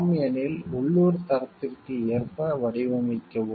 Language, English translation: Tamil, If it is yes, then design according to local standards